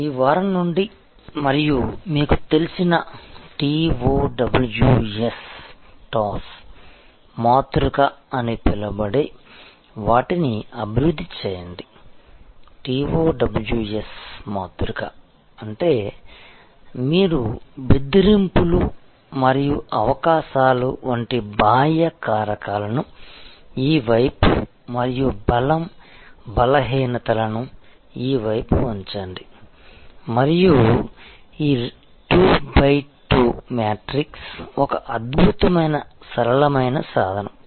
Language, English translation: Telugu, Out of this week and develop what is known as that TOWS matrix you know TOWS the TOWS matrix; that means, you put the external factors like threats and opportunities on this side and weaknesses and strengthen on this site and is 2 by 2 matrix is an excellent tool simple